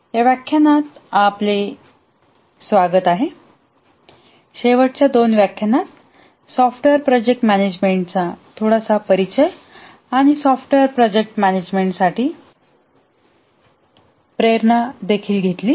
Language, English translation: Marathi, In the last two lectures we had some very brief introduction to the software project management and also motivation for software project management